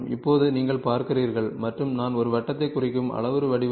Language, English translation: Tamil, So, now, you see and the parametric form I am representing a circle